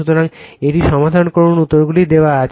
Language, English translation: Bengali, So, you solve it , answers are also given